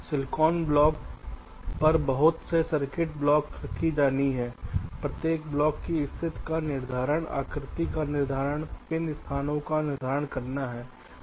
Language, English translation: Hindi, a number of circuit block have to be laid out on the silicon floor, determine the rough position of each of the blocks, determine the shapes, determine the pin locations